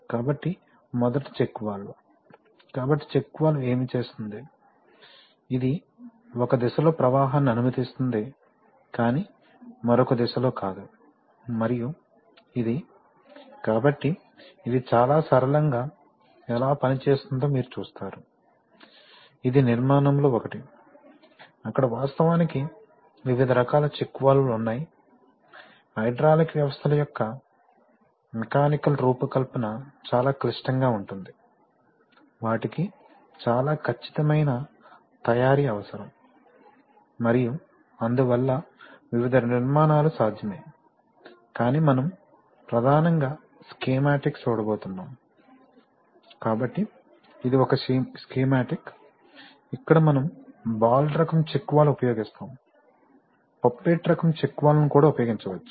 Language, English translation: Telugu, So, first the check valve, so the check valve what does it do, it will allow flow in one direction but not the other direction, and it is, so you see how it works very simple, this is one of the construction, there are various kinds of check valves in fact, the mechanical design of hydraulic systems are very complicated, they require very precision manufacturing and so there are various constructions possible but we are going to see mainly schematics, so this is one schematic, where we use a ball type check valve, we can also use a poppet type check valve various kinds